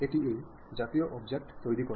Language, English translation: Bengali, It constructs such kind of object